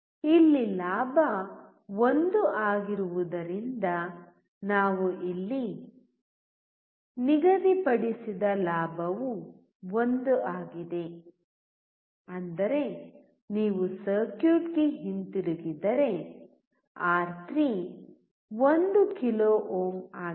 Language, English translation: Kannada, Because the gain here is 1, the gain that we have set here is 1; that means, if you come back to the circuit R3 is 1 kilo ohm